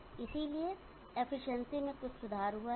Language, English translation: Hindi, And therefore, efficiency is greatly improved